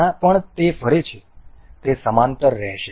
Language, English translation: Gujarati, Anywhere it moves, it will remain parallel